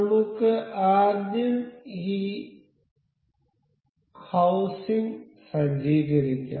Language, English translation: Malayalam, So, let us just set up this housing first